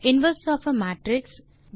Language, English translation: Tamil, determinant of a matrix